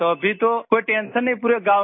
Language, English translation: Hindi, Now there is no tension in the whole village